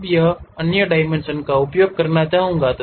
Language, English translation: Hindi, Now, other dimensions I would like to use